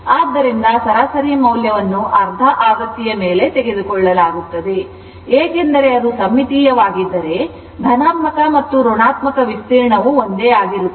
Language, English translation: Kannada, So, the average value is taken over the half cycle because, if it is symmetrical, that I told you the negative and positive area and negative area will be same